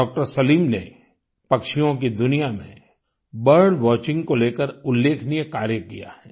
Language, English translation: Hindi, Salim has done illustrious work in the field of bird watching the avian world